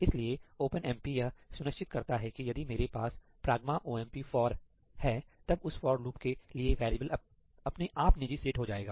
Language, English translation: Hindi, So, OpenMP automatically ensures that if I have a ‘hash pragma omp for’, then the variable for that for loop is automatically made to be private